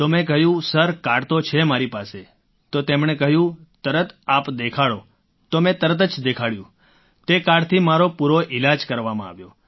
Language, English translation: Gujarati, So I said sir, I have the card, so he asked me to show it immediately, so I showed it immediately